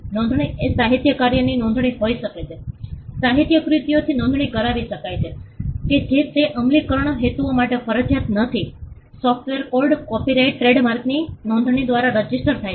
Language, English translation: Gujarati, Registration could be registration of a literary work literary works can be registered though it is not mandatory for enforcement purposes, software code gets registered by way of a copyright trademarks are registered